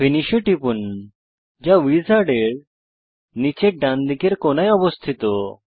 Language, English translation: Bengali, Click Finish at the bottom right corner of the wizard